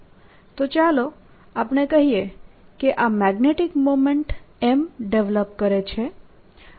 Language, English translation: Gujarati, so let's say this fellow develops a magnetic moment, m